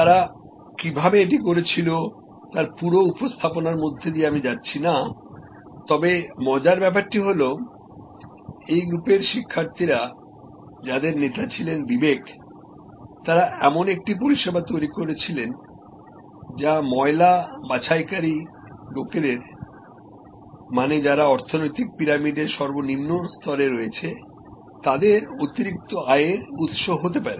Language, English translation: Bengali, And I am not going through the whole presentation how they did it, but the interesting idea is that this group of students they created, the leader was Vivek and they created a service which can be an additional source of income for rag pickers, people who are at the lowest strata of the economic pyramid